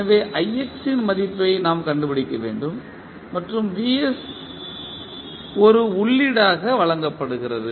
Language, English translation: Tamil, So, we need to find the value of ix and vs is given as an input